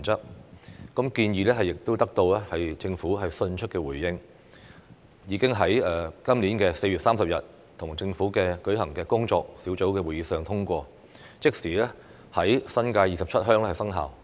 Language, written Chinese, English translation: Cantonese, 修訂建議獲得政府迅速回應，並已於今年4月30日在與政府舉行的工作小組會議上通過，即時在新界27鄉生效。, The proposed amendments received swift response from the Government . They were passed at the working group meeting with the Government on 30 April this year and immediately came into effect in 27 villages in the New Territories